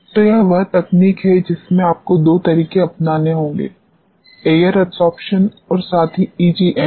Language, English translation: Hindi, So, this is the technique where you have to adopt two methods, the air adsorption as well as EGME